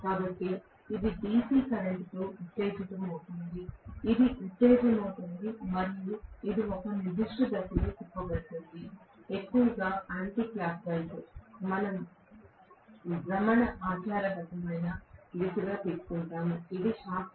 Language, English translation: Telugu, So, it is excited with DC current, it is excited and it is rotated in a particular direction, mostly anticlockwise we take as the conventional direction of rotation, this is the shaft